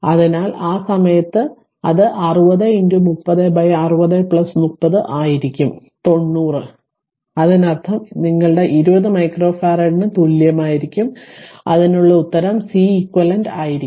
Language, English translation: Malayalam, So, at that time it will be 60 into 30 by 60 plus 30 that is 90; that means, it will be your ah 20 micro farad equivalent will be 20 micro farad that will be Ceq that will be the answer